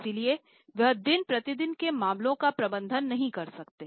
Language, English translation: Hindi, So, they cannot manage day to day affairs